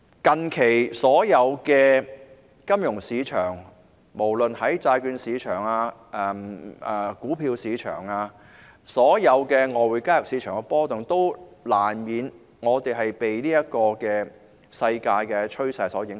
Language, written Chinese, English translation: Cantonese, 當然，所有金融市場，無論是債券市場、股票市場或外匯市場近期均出現波動，我們難免被世界趨勢所影響。, Certainly all financial markets be it the bond market stock market or foreign exchange market have experienced fluctuations recently and we are inevitably affected by the world trends